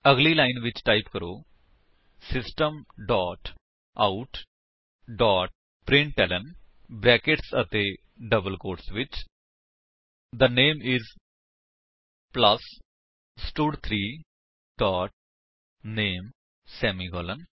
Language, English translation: Punjabi, next line, type: System dot out dot println within brackets and double quotes The name is plus stud3 dot name semicolon